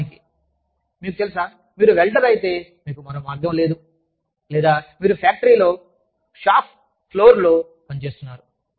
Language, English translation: Telugu, Of course, you know, if you are a welder, or, you are working in a factory, in the shop floor